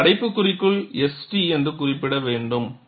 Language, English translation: Tamil, And you also have within brackets, S hyphen T